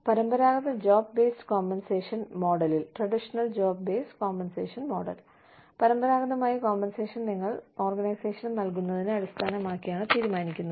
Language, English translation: Malayalam, Traditional job based compensation model, includes traditionally, the compensation was decided, or has been decided on, what you give to the organization